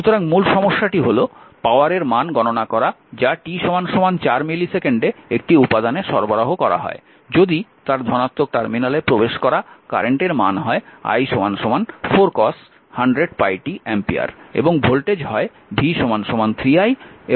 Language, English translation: Bengali, So, the it is it is hours that compute the power delivered to an element at t is equal to 4 millisecond, if the current entering its positive terminal is i is equal to 4 cos 100 pi t ampere and the voltage is v is equal to 3 i and v is equal to 3 di dt right